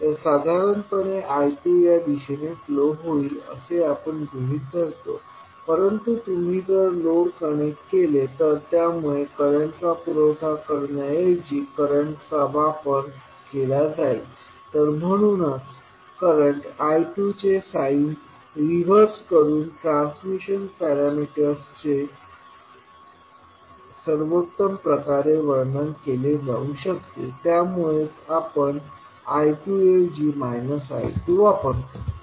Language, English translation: Marathi, So I 2 we generally consider in this direction, but since the load if you connect consumes current rather than providing current so that is why the transmission parameters can best be described by reversing the sign of current I 2 so that is why we use here minus I 2 rather than I 2